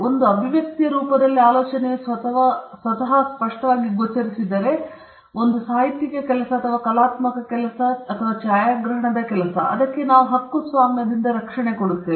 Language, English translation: Kannada, If the idea manifests itself in the form of an expression a literary work or an artistic work or a cinematographic work then that is protected by a copyright